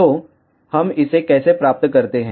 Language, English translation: Hindi, So, how do we achieve this